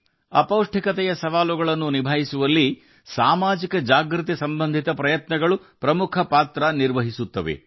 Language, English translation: Kannada, Efforts for social awareness play an important role in tackling the challenges of malnutrition